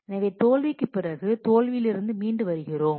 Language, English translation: Tamil, So, after the failure we recover from the failure